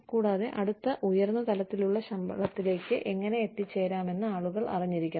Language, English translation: Malayalam, And, people should know, how they can get, the next higher level of pay